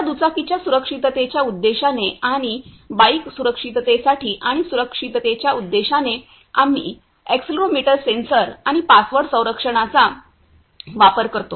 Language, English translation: Marathi, Now for bike safety purpose and bike safety, and security purpose we using accelerometer sensor and a password protection